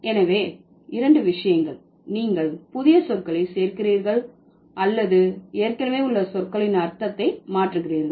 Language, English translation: Tamil, Either you are adding new words or you are changing the meaning of the already existing words